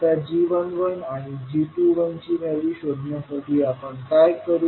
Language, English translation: Marathi, Now, to find out the value of g11 and g21